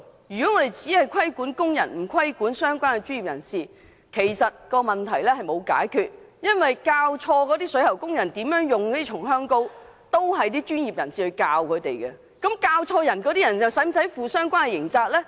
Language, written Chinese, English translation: Cantonese, 如果只規管工人而不規管相關的專業人士，其實沒有解決問題，因為錯誤教導水喉工人如何使用松香膏的是專業人士，他們又是否需要負上相關刑責呢？, We cannot solve the problem if we only regulate the workers but not the relevant professionals . It is exactly the professionals who wrongly teach plumbing workers how to use rosin flux . Will they be held criminally liable for this?